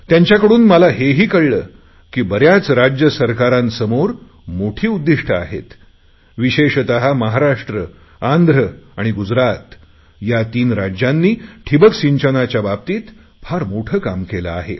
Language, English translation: Marathi, I also found that there were many states which had taken on very big targets, especially, Maharashtra, Andhra Pradesh and Gujarat these three states have done massive work in the field of drip irrigation